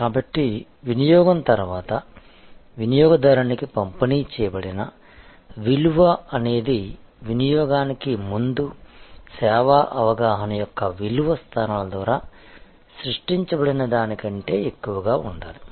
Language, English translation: Telugu, So, the post consumption, post consumption perception of value delivered to a consumer must be more than the pre consumption expectation created by the value positioning of the service